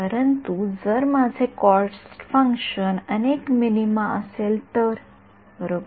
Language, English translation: Marathi, But if my cost function were multiple minima right